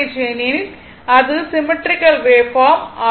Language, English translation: Tamil, So, this is symmetrical wave form